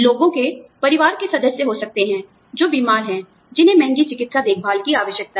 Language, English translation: Hindi, People could have family members, who are sick, who need expensive medical care